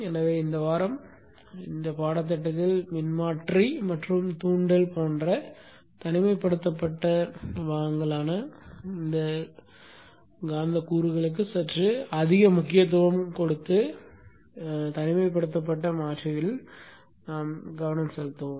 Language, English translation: Tamil, So this week will focus more on these isolated converters with a bit more emphasis on the isolation components, magnetic components like the transformer and the inductor